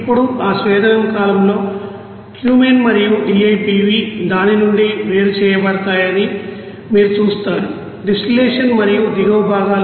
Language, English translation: Telugu, Now in that distillation column you will see that Cumene and DIPV will be separated from it is distillate and bottom parts